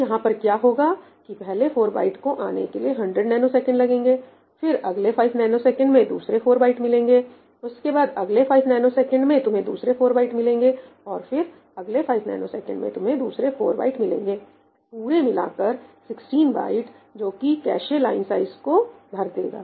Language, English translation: Hindi, So, what will happen over here is that the first 4 bytes will take 100 nanoseconds to come, then in this next 5 nanoseconds you will get another 4 bytes, in the next 5 nanoseconds you will get another 4 bytes and in the next 5 nanoseconds you will get another 4 bytes for a total of 16 bytes, which fills up the cache line